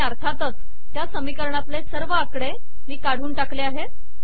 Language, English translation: Marathi, And of course I have removed the equation numbers